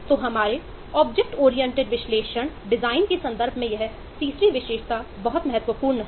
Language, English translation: Hindi, so this third attribute is very critical from our object oriented analysis design context